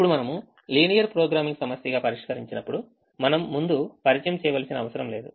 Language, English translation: Telugu, now, when we solve as a linear programming problem, we need not introduce a four, we need not introduced a dummy